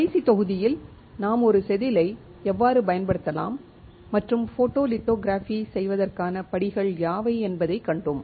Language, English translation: Tamil, In the last module we have seen how we can use a wafer; and what are the steps to perform photolithography